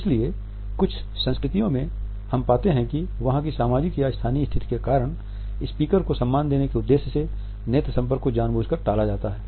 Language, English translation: Hindi, So, in certain cultures we find that the eye contact is deliberately avoided because we want to pay respect to the speaker because of the social situation or because of the convention of the land